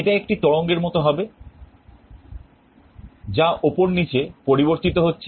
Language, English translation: Bengali, It will be like a waveform, changing up and down